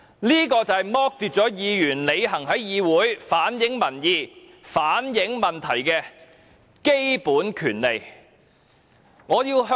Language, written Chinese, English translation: Cantonese, 這就是剝奪議員履行在議會反映民意、反映問題的基本權利。, Members are thus deprived of their basic right to reflect public views and problems in this Council